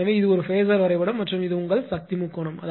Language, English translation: Tamil, Therefore, this is a phasor diagram and this is your power triangle